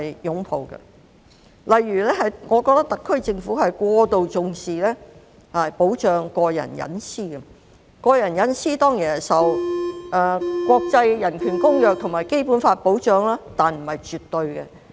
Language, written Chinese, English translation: Cantonese, 舉例來說，我覺得特區政府過度重視保障個人隱私；個人隱私當然受國際人權公約及《基本法》保障，但這不是絕對的。, For instance I think the SAR Government attaches excessive importance to the protection of personal privacy . It is a matter of course that personal privacy is protected by the international covenants on human rights and the Basic Law but this is not absolute